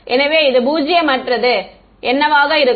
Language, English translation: Tamil, So, what will be non zero over here